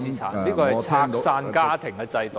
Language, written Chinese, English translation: Cantonese, 這是拆散家庭的制度。, This is a system which breaks families apart